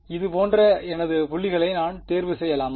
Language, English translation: Tamil, Can I choose my points like this